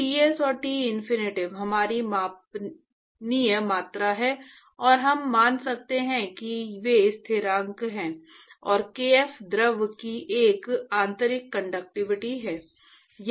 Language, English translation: Hindi, So, Ts and Tinfinity is our measurable quantity and we can assume they are constants and kf is an intrinsic conductivity of the fluid